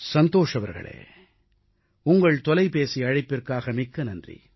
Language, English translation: Tamil, Santoshji, many many thanks for your phone call